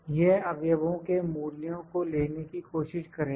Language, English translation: Hindi, It will try to pick the values from the elements